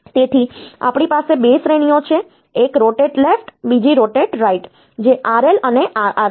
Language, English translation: Gujarati, So, we have got 2 categories one is rotate left another is rotate; RL and RR